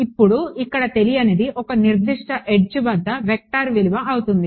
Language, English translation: Telugu, Now the unknown over here becomes the value of a vector along a certain edge ok